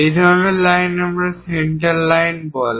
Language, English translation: Bengali, This kind of lines we call center lines